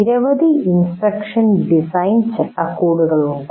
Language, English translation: Malayalam, And there are several instruction design frameworks